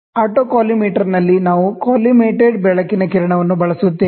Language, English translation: Kannada, So, in autocollimator, we use a beam of collimated light